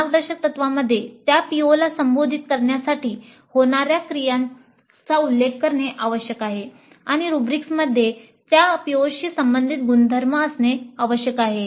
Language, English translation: Marathi, The guidelines must specifically mention the activities to be carried out in order to address those POs and the rubrics must have attributes related to those POs